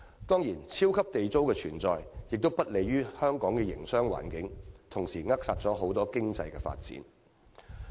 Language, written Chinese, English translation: Cantonese, 當然，"超級地租"的存在亦不利於本港的營商環境，同時扼殺多元經濟的發展。, Also it goes without saying that the super Government rent is not conducive to Hong Kongs favourable business environment and stifles the development of a diversified economy